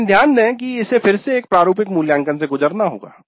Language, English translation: Hindi, But note that this also must go through again a formative evaluation